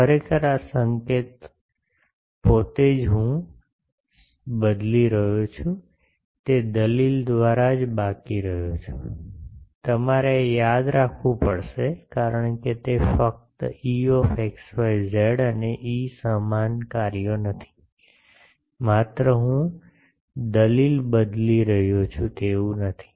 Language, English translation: Gujarati, Actually this notation itself I am remaining same only by argument I am changing, you will have to remember this, because it is not simply that E x y z and E they are not same functions, only I am changing argument not that